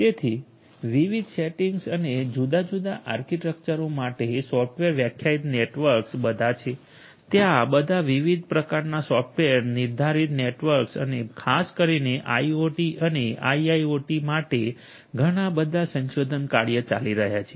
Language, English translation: Gujarati, So, software defined networks for different different settings different different architectures are all there a lot of research work is going on catering to software defined networks of all different sorts and more specifically for IoT and a IIoT